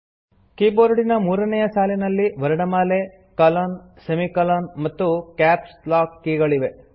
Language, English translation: Kannada, The third line of the keyboard comprises alphabets, colon/semicolon, and capslock key